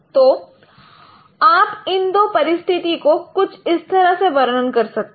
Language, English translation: Hindi, So you can characterize these two situations in this way